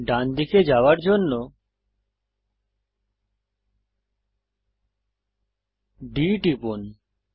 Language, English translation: Bengali, Press D to move to the right